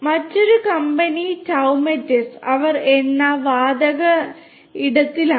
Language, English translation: Malayalam, Another company Toumetis, they are in the oil and gas space